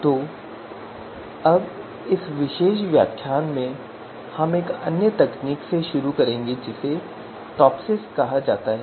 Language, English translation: Hindi, So now in this particular lecture we will start with another technique which is called TOPSIS